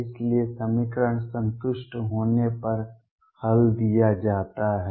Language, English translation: Hindi, So, solution is given when equation satisfied